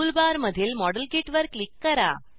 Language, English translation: Marathi, Click on the modelkit icon in the tool bar